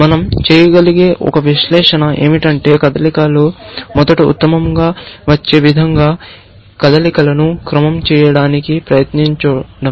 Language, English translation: Telugu, One analysis that we can do is to try to order the moves in such a way, that the best moves comes first, essentially